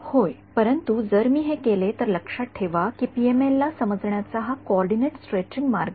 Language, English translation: Marathi, Yeah, but if I make so that the remember that is this coordinate stretching way of understanding PML